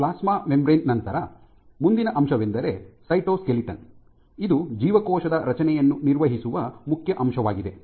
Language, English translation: Kannada, So, and after plasma membrane comes the cytoskeleton, this is the main element which maintains the structure of the cell